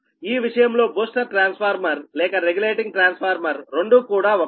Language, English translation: Telugu, in this case this booster transformer or regulating transformer are these